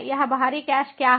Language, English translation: Hindi, and what is this external cache